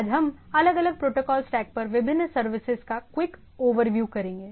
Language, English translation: Hindi, Today we will have a quick overview of the different services at the different Protocol Stack